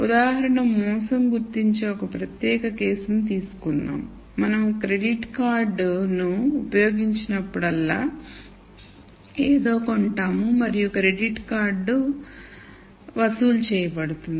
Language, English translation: Telugu, So, let us take one particular case of fraud detection for example, so, whenever we go and use our credit card we buy something and the credit card gets charged